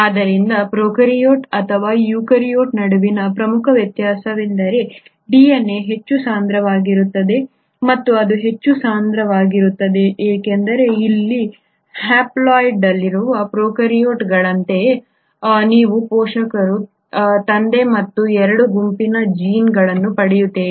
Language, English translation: Kannada, So this has been the major difference between the prokaryote and the eukaryote whether DNA is far more compact and the reason it is far more compact is because unlike the prokaryotes which are haploid here you are getting genes from both set of parents, the father as well as the mother